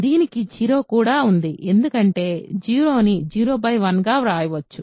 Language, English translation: Telugu, It also has 0 right because 0 can be thought of as 0 by 1